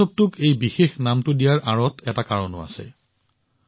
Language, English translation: Assamese, There is also a reason behind giving this special name to the festival